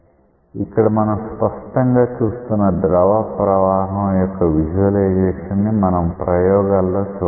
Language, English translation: Telugu, So, you can clearly see that these visualizations of fluid flow that we have seen as concepts these are may also be visualized in experiments